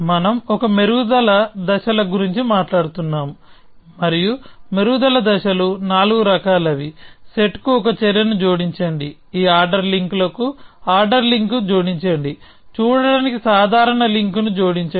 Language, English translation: Telugu, We are talking about a set of refinement steps and the refinement steps are of four kind, add an action to the set a, add ordering link to this set of ordering links, add the casual link to see